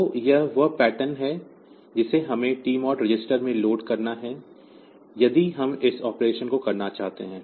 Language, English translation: Hindi, So, this is the pattern that we have to load in the TMOD register, if we want to do this operation